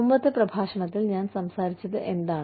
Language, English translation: Malayalam, Which is what, I talked about, in the previous lecture